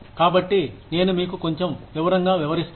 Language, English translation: Telugu, So, I will explain this to you, in a little bit of detail